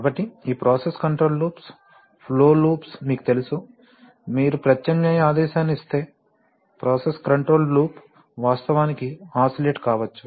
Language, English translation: Telugu, So this, you know this process control loops, flow loops the if you, if you give an alternating command then the process control loop may actually oscillate